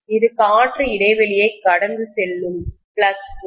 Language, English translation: Tamil, This is the flux line which is passing through the air gap